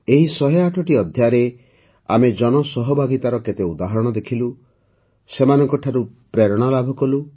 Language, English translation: Odia, In these 108 episodes, we have seen many examples of public participation and derived inspiration from them